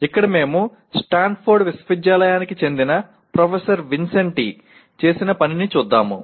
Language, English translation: Telugu, Here we will go with what professor Vincenti of Stanford University has done